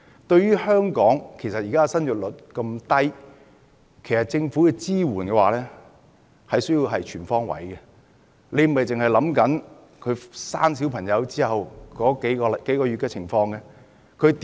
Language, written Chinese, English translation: Cantonese, 對於香港現時的低生育率，政府的支援其實要全方位，而不是顧及小孩出生後數個月的情況而已。, In view of the low fertility rate in Hong Kong at present the Government needs to provide extensive support rather than measures which only cover a period of several months after childbirth